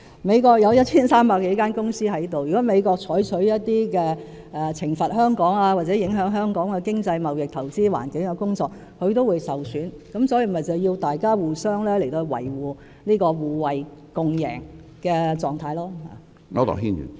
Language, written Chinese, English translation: Cantonese, 美國有 1,300 多間公司在香港，如果美國採取一些懲罰香港或影響香港經濟貿易和投資環境的措施，它亦會受損，所以需要大家互相維護這種互惠共贏的狀態。, There are some 1 300 United States companies in Hong Kong . If the United States takes punitive measures against Hong Kong or measures that would affect the economic trading and investment environment of Hong Kong it will also suffer . Hence the concerted efforts of both sides are required to preserve such a reciprocal and mutually beneficial status